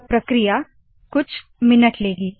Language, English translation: Hindi, This will take few minutes